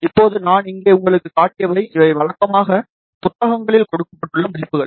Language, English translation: Tamil, Now, what I have shown you here, these are the values given conventionally in the books